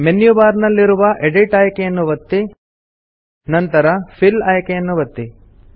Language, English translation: Kannada, Click on the Edit option in the menu bar and then click on the Fill option